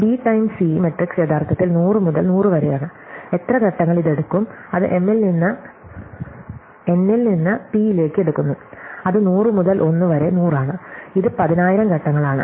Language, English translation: Malayalam, So, the B times C matrix is actually 100 by 100 and how many steps it will take, it takes m into n into p which is 100 into 1 into 100 which is 10,000 steps